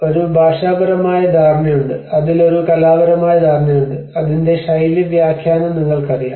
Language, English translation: Malayalam, So, there has been a linguistic understanding, there has been an artistic understanding in it, and you know the style interpretation of it